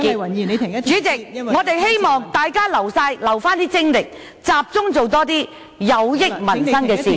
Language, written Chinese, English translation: Cantonese, 代理主席，我們希望大家保留精力，集中多做些有益民生的事......, Deputy President we hope that Members will save their energy and focus more on work that is beneficial to peoples livelihood